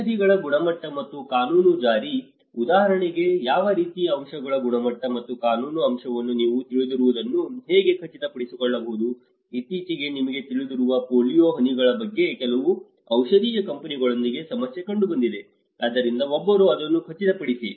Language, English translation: Kannada, The quality and legal enforcement of drugs, how one can ensure you know the quality and the legal aspect of how what kind of drugs for instance, recently there was an issue with certain pharmaceutical companies on even the polio drops you know, so one who can ensure it